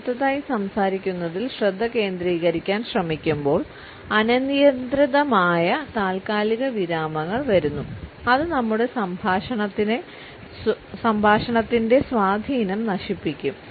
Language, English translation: Malayalam, When we are trying to focus on what next to speak are the arbitrary pauses which is spoil the impact of our speech